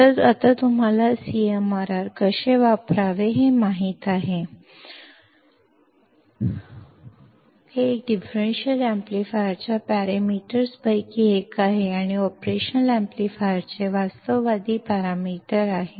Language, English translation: Marathi, So, now you guys know how to use CMRR, you guys will also know how to use this as the parameter this is one of the parameters of a differential amplifier or the realistic parameter of operational amplifier